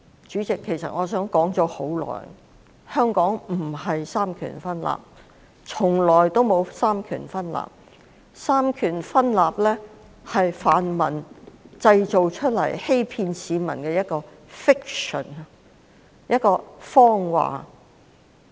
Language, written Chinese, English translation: Cantonese, 主席，其實香港並非三權分立，從來也沒有三權分立，所謂三權分立是泛民製造出來欺騙市民的 fiction。, Chairman as a matter of fact Hong Kong does not practise separation of powers and separation of powers has never existed in Hong Kong . The so - called separation of powers is a fiction created by the pan - democrats to deceive the public